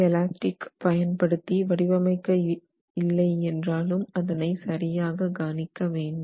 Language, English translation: Tamil, And therefore, F elastic is not something that you would design for